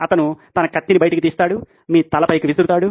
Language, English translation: Telugu, He takes his sword out, off goes your head